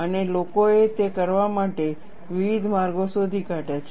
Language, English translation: Gujarati, And people have found various ways to do that